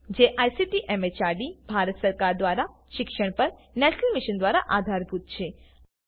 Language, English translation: Gujarati, supported by the National Mission on Education through ICT, MHRD, Government of India